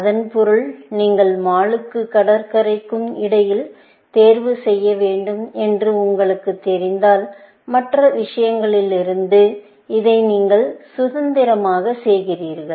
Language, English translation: Tamil, This means that when you know that you have to choose between mall and beach, you do this independent of the other things